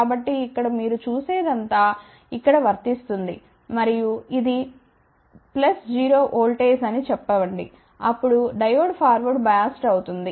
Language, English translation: Telugu, So, here all you do it is apply plus over here and let us say this is a 0 voltage, then Diode will be forward biased